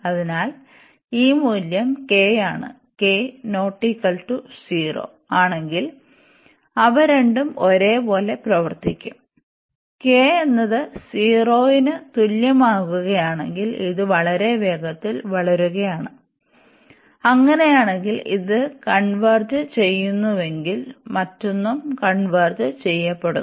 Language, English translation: Malayalam, So, we have if this value is k, and in that case if k is not equal to 0, they both will behave the same and if k comes to be equal to 0 that means, this is growing much faster; in that case if this converges, the other one will also converge